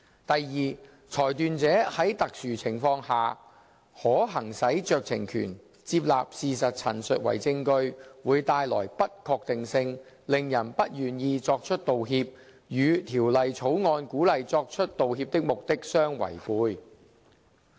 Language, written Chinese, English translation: Cantonese, 第二，裁斷者在特殊情況下，可行使酌情權，接納事實陳述為證據，會帶來不確定性，令人不願意作出道歉，與《條例草案》鼓勵作出道歉的目的相違背。, Second members were also concerned about the uncertainties that might arise from the admission of statements of fact as evidence in exceptional cases at the decision makers discretion as this might discourage people from making apologies and thus defeat the purpose of the Bill